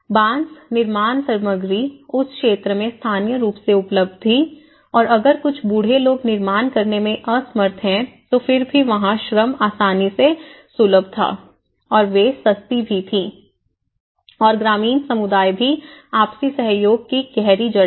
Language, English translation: Hindi, Construction materials including bamboo were available locally in that region and at least if some elderly people or if they are unable to make their own can self built self help construction then still the labour was easily accessible and they were affordable as well and rural communities have a deep rooted sense of mutual cooperation